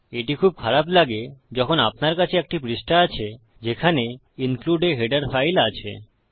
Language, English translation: Bengali, This is quite messy when you have a page that has include a header file